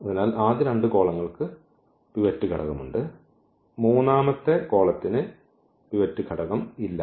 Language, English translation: Malayalam, So, the first two columns have pivot element that third column does not have pivot element